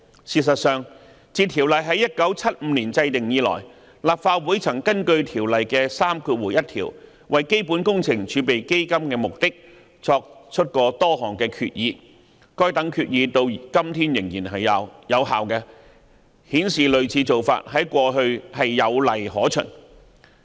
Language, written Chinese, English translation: Cantonese, 事實上，自《條例》在1975年制定以來，立法會曾根據《條例》第31條為基本工程儲備基金的目的作出多項決議，而該等決議至今仍然有效，顯示類似做法有往例可循。, In fact since the enactment of the Ordinance in 1975 the Legislative Council has made a number of Resolutions for the purposes of CWRF under section 31 of the Ordinance and they remain valid even now indicating that there are precedents of similar practice